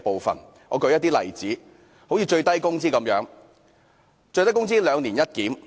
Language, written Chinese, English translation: Cantonese, 讓我舉出一個例子，就是最低工資的"兩年一檢"。, Let me cite the bi - annual review of the minimum wage as an example